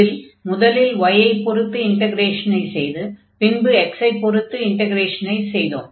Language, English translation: Tamil, So, while taking the integral with respect to y, we will take so with respect to y